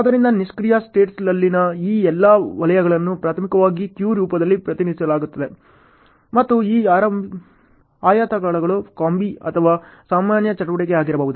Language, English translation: Kannada, So, all these circles in the passive states are primarily represented in a queue form and these rectangles can be either a combi or a normal activity